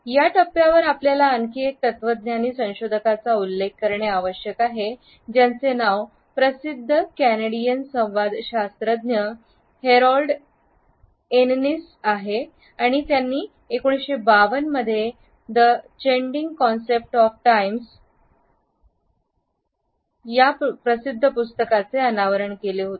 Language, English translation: Marathi, Another philosopher whom we have to acknowledge at this stage is Harold Innis, the famous Canadian communicologist who published his famous book Changing Concepts of Time in 1952